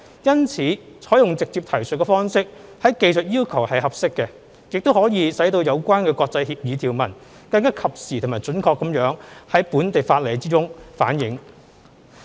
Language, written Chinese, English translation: Cantonese, 因此，採用"直接提述方式"於技術要求是合適的，亦可以使有關國際協議條文更及時和準確地在本地法例中反映。, For that reason it is appropriate to adopt the direct reference approach in respect of technical requirements . The approach will also enable provisions of international agreements to be reflected in local laws in a timely and precise manner